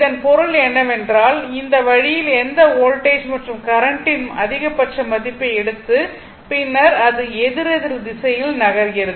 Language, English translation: Tamil, That is this that means, this way you take the maximum value of any voltage and current, and then you are moving in the clock anticlockwise direction